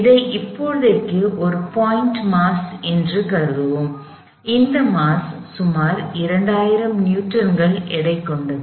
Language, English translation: Tamil, We will consider this as a point mass for now and this mass is about 2000 Newton’s in weight